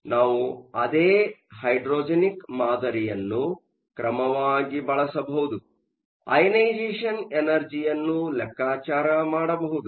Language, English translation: Kannada, 9, but we can use the same hydrogenic model in order to calculate the ionizations energies